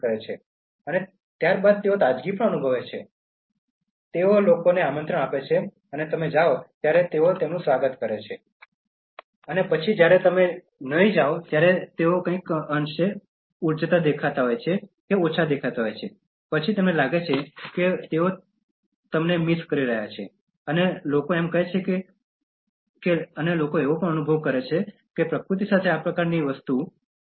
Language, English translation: Gujarati, And then they feel fresh, they invite people, they welcome them when you go, and then when you don’t go so, they look somewhat sagged in energy and then they feel that they are missing you and people say that and people even experience this kind of thing even with nature